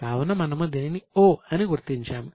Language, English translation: Telugu, So, we will mark it as O